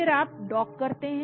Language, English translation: Hindi, Then you dock